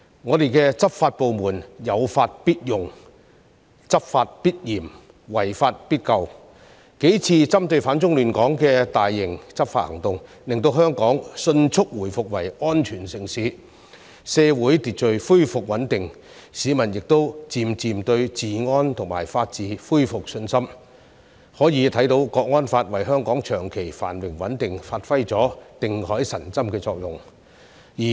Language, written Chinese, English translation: Cantonese, 我們的執法部門有法必用、執法必嚴、違法必究，數次針對反中亂港分子的大型執法行動，令香港迅速回復為安全城市，社會秩序恢復穩定，市民亦漸漸對治安和法治恢復信心，可以看到《香港國安法》為香港長期繁榮穩定發揮了定海神針的作用。, Our law enforcement departments will apply the law enforce it strictly and punish those who violate it . Several large - scale law enforcement operations against anti - China elements which have disrupted Hong Kong have quickly restored the territory to a safe city restored social order and stability and gradually restored public confidence in law and order and the rule of law . We can see that the Hong Kong National Security Law has served as the anchor for Hong Kongs long - term prosperity and stability